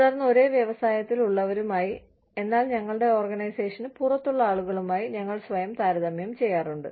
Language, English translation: Malayalam, And, then, we also tend to compare ourselves, with people within the same industry, but outside our organization